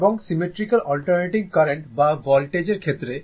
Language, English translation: Bengali, And in case of symmetrical, in case of symmetrical, alternating current or voltage right